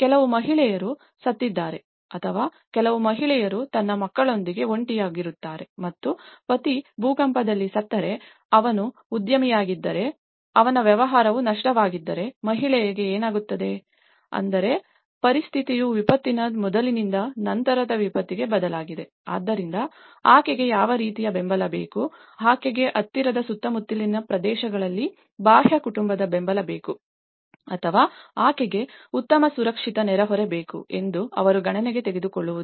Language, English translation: Kannada, Just imagine some woman have died or I mean, some woman is left alone with her children and if a husband was died in an earthquake, if he was a businessman and his business was lost so, what happens to the woman so, which means a situation have changed from before disaster to the post disaster, so they will not take an account what kind of support she needs, she needs an external family support in the nearby vicinity areas or she needs a good safe neighbourhood